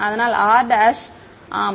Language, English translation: Tamil, So, r dash yeah